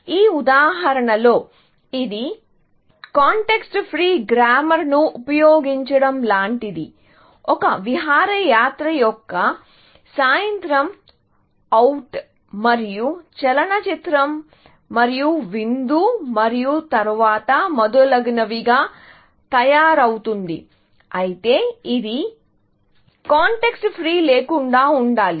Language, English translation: Telugu, In this example, it is a little bit, like using a context free grammar, to say, that an outing is made up of an evening out, and the movie and dinner, and then, so on and so forth; but it does not have to be context free